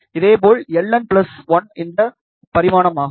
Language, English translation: Tamil, L n will be this dimension